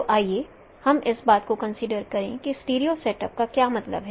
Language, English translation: Hindi, So let us consider what is meant by a stereo setup